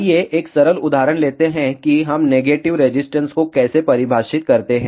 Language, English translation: Hindi, Let us take a simple example So, how do we define negative resistance